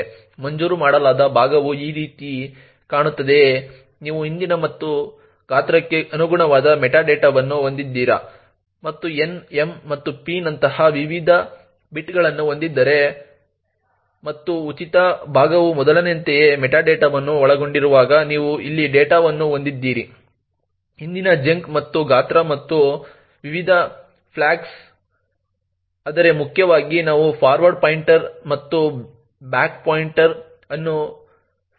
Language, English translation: Kannada, The allocated chunk looks something like this do you have the metadata over here corresponding to previous and the size and the various bits like n and p and you have the data which is present here while the free chunk comprises of the metadata as before the previous chunk and the size and the various flags but importantly we have the forward pointer and the back pointer present in the free chunk